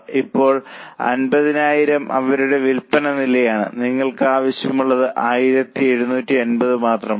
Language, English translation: Malayalam, Now, 5,000 is their sales level and what you require is only 1750